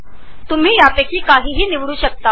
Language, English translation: Marathi, You are free to choose any of these